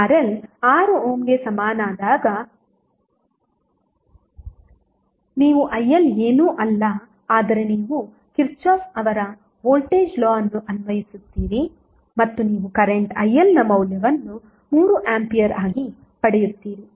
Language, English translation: Kannada, When RL is equal to 6 ohm you will simply get IL is nothing but you will simply apply Kirchhoff’s voltage law and you will get the value of current IL as 3A